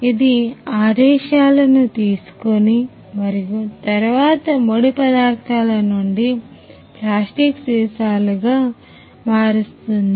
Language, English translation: Telugu, It takes the commands and then comes from the raw materials into plastic bottles